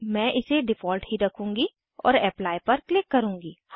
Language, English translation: Hindi, I will keep it as Default and click on Apply